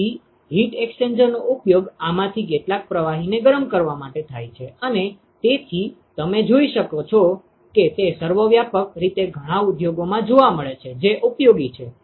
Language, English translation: Gujarati, So, heat exchangers are used in order to heat some of these fluids and therefore, you can see that they are ubiquitously found in lot of industries which is useful